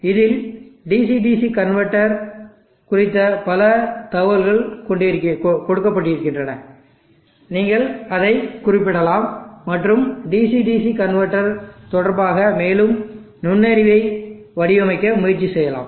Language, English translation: Tamil, They are also available where lot of information on DC DC converter is given where you can refer to that and try to design and get more insight with respect to the DC DC converters